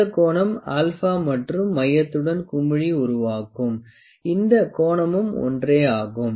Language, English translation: Tamil, This angle alpha and this angle that the bubble makes with the centre of the voile, this angle is same